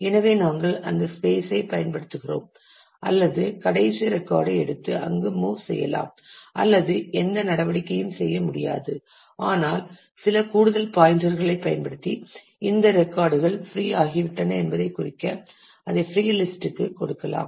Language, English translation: Tamil, So, that we consume that space or we can take the last record and move it there or we can simply do not do any move, but use an some additional pointers to denote that these records have become free rather give it to a free list